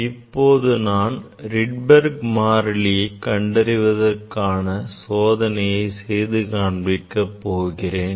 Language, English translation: Tamil, this is our experimental set up for determination of the, for determining the Rydberg constant